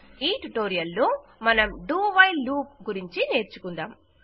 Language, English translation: Telugu, In this tutorial, we will learn the DO WHILE loop